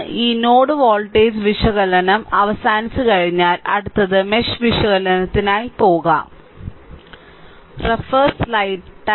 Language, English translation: Malayalam, So, with this node voltage analysis is over, next will go for mesh analysis right